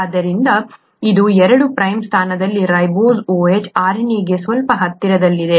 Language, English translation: Kannada, So this is somewhat closer to RNA, the ribose OH in the 2 prime position